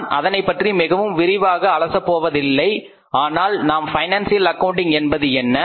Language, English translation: Tamil, I will not go much in detail but we will see that what the financial accounting is